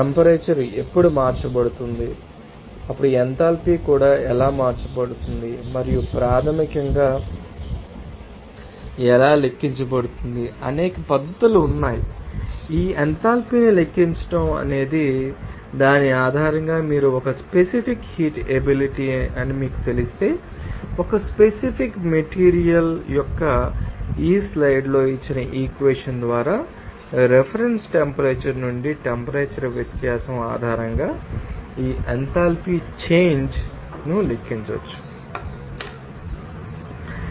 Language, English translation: Telugu, Whenever temperature will be changes, then how enthalpy will also be changed and how it can be calculated basically, there are several methods, you can you know, calculate this enthalpy based on who is you can say that if you know that a specific heat capacity of a particular material, then this enthalpy change can be calculated based on that temperature difference from the reference temperature by this equation here given in this slide